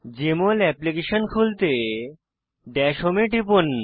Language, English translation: Bengali, To open the Jmol Application, click on Dash home